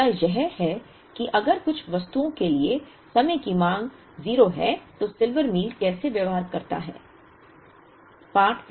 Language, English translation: Hindi, The other issue is if there are time periods where the demand is 0 for certain items, how does a Silver Meal behave